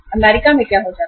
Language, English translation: Hindi, In US what happens